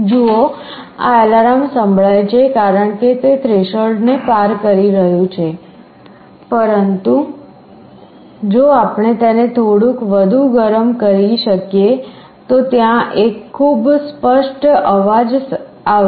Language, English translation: Gujarati, See this is alarm is sounding because it is just crossing threshold, but if we can heat it a little further then there will be a very clear sound that will be coming